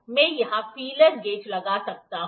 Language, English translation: Hindi, I can put the feeler gauge in here